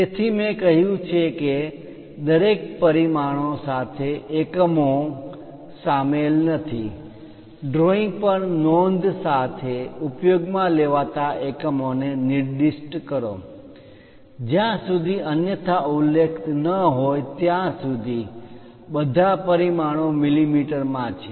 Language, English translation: Gujarati, So, as I said units are not included with each dimension, specify the units used with a note on the drawing as unless otherwise specified, all dimensions are in mm